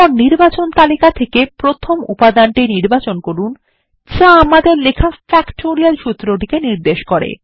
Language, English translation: Bengali, Then choose the first item in the Selection list denoting the first factorial formula we wrote